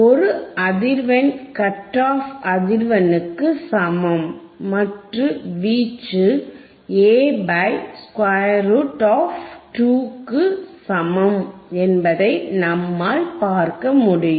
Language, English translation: Tamil, wWe will be able to see that a frequency that is equal to cut off frequency, amplitude is about A by square root of 2, A by square root of 2